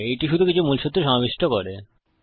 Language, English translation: Bengali, This will just cover some of the basics